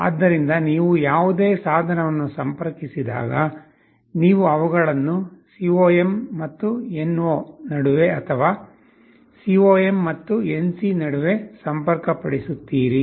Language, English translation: Kannada, So, when you connect any device you either connect them between the COM and NO, or between COM and NC